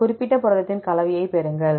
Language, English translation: Tamil, Get the composition of this particular protein